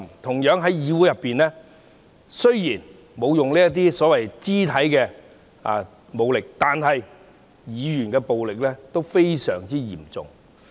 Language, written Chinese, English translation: Cantonese, 同樣地，議會內雖然沒有使用肢體武力，但語言暴力亦非常嚴重。, It is indeed heart - wrenching to see these violent acts . Similarly although physical violence is not used in the Council verbal violence is very serious